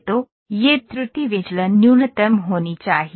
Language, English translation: Hindi, So, this error deviation should be minimum